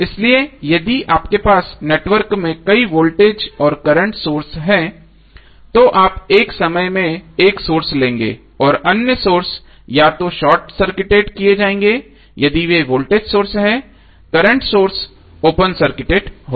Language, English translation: Hindi, So if you have multiple voltage and current source in the network you will take one source at a time and other sources would be either short circuited if they are a voltage sources and the current source is would be open circuited